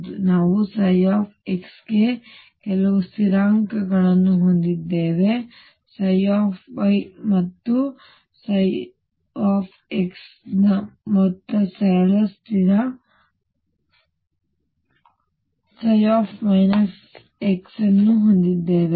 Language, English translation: Kannada, So, we had psi x equal sum constants psi y or we had psi x equals sum constant psi minus x